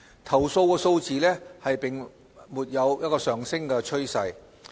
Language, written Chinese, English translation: Cantonese, 投訴數字並沒有上升趨勢。, The number of complaints does not show an upward trend